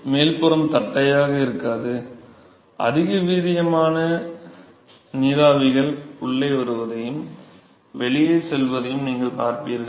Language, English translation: Tamil, So, the top surface will not the flat any more, you will see the lot of vigorous vapors coming in and going out ok